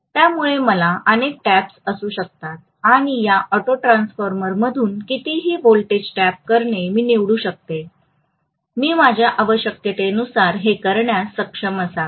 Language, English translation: Marathi, So I can have multiple number of taps and I can choose to tap any amount of voltage out of this auto transformer, I should be able to do this as per my requirement, okay